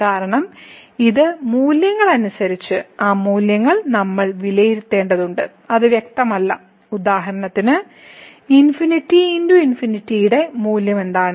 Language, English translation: Malayalam, Because, we have to evaluate by some rules those values and it is not clear that; what is the value of infinity by infinity for example